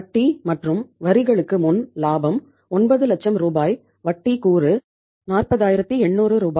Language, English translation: Tamil, Profit before interest and taxes 90000 Rs, Interest component is 40800 Rs